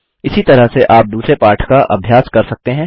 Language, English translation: Hindi, Similarly you can practice different lessons